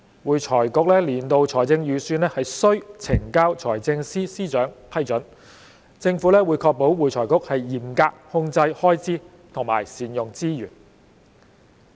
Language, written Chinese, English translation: Cantonese, 會財局年度財政預算須呈交財政司司長批准，政府會確保會財局嚴格控制開支和善用資源。, AFRCs annual budgets are required to be submitted to the Financial Secretary for approval . The Government will ensure that AFRC will exercise stringent cost control and utilize its resources effectively